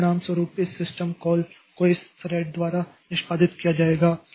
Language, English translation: Hindi, So, as a result, this system call will be executed by this thread